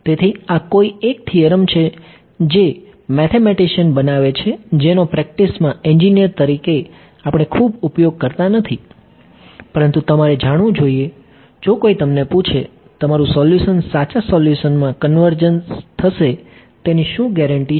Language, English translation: Gujarati, So, this is a one of those theorems which mathematicians make which in practice as engineers we do not tend to use very much, but you should know, if someone asks you: what is the guarantee that your solution will converge to the true solution